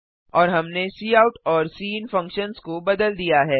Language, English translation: Hindi, And we have changed the cout and cin function